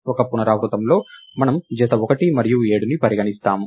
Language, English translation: Telugu, In one iteration, we consider the pair 1 and 7